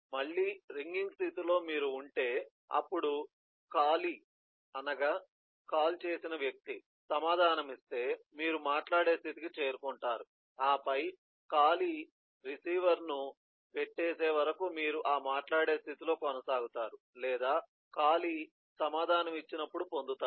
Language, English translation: Telugu, if you are in, then if the callee answers, then you get into the talking state and then, eh, you continue in that eh talking state till callee hangs up or get when the callee answers